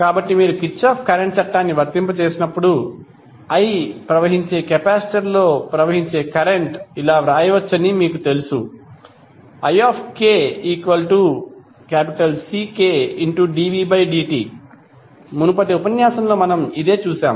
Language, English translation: Telugu, So when you apply Kirchhoff current law, you know that the current flowing in the ith capacitor can be written as ik is equal to ck dv by dt